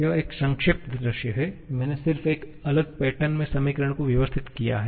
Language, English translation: Hindi, This is a summarized view, just equations I have organized in a different pattern